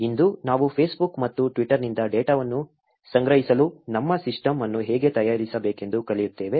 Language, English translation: Kannada, Today we will be learning how to prepare our system for collecting data from Facebook and Twitter